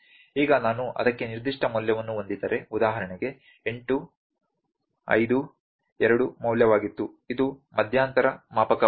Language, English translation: Kannada, Now if I have the specific value for that, for instance, 8, 5, 2 was the value, this is an interval scale